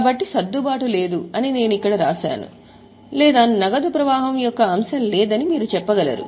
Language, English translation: Telugu, So, I have written here as no adjustment or you can say no item of cash flow